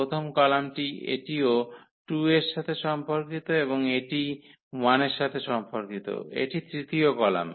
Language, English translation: Bengali, The first column this is also corresponding to 2 and this corresponds to 1 the third column